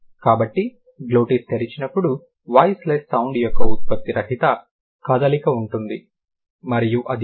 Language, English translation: Telugu, So, when the glottis is open, there is a production free flow of a voiceless sound and that is ha